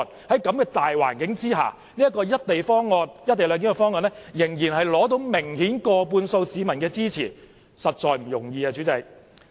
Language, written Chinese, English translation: Cantonese, 在這個大環境下，"一地兩檢"方案仍取得明顯過半數市民的支持，實在不容易。, Under such circumstances it is not easy for the co - location proposal to have the support of an absolute majority of members of the public